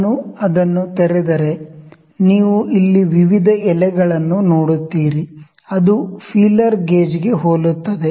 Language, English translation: Kannada, If I open it, you will see the various leaves here, which are very similar to the feeler gauge